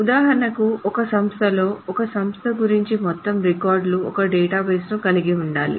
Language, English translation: Telugu, For example, in an institute, the entire records about an institute constitutes one database